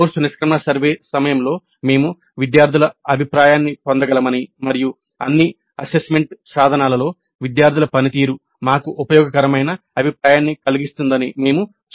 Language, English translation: Telugu, We also saw that during the course exit survey we can get student feedback and student performance in all assessment instruments itself constitutes useful feedback for us